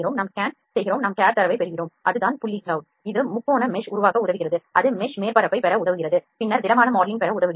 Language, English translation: Tamil, We scan, we get the cad data, we that is the point cloud that helps to generate the triangulation mesh that melt mesh helps us to get the surface which then helps us to get the solid modeling